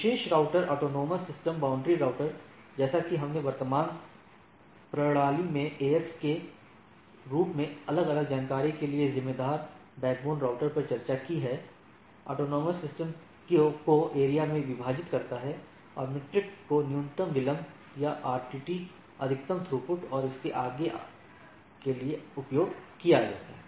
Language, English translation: Hindi, Special router autonomous system boundary routers, as we have discussed backbone routers responsible for dissipate information across AS in the current system, divides the AS into areas, and metric to be used minimum delay or RTT, maximum throughput and so and so forth